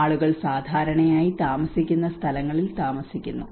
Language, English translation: Malayalam, People tend to live in the places where they are habituated to